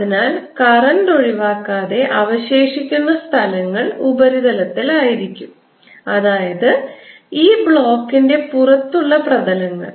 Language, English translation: Malayalam, and therefore the only places where the current is going to be left without being cancelled is going to be on the surfaces, outer surfaces of this block